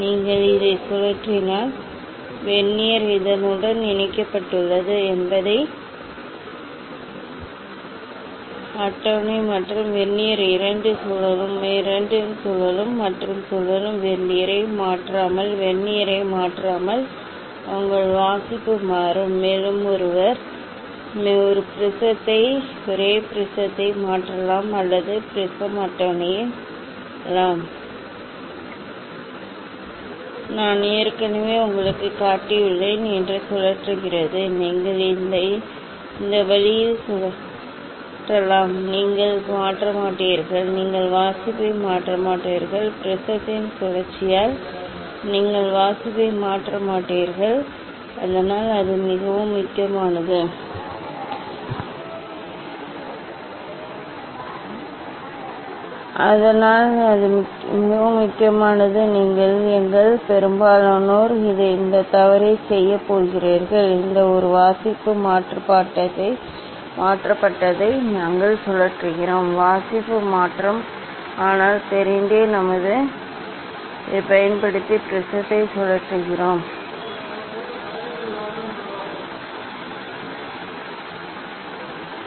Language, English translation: Tamil, And if you rotate this one, is the Vernier attached with this, so prism table as well as the Vernier both will rotate, both will rotate and your reading will change without changing Vernier without changing rotating Vernier, also one can change the only prism or only prism table, rotating that I have already showed you ok, just you can rotate it in this way you will not change the you will not change the reading, You will not change the reading because of the rotation of the prism, so that is that is very important when you are going to take most of us do this mistake, we rotate this one reading is changed find that you are interested to take that change of reading, but are knowingly we rotate the prism using this, using this I think it is the, yeah